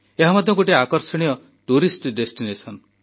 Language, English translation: Odia, It is an attractive tourist destination too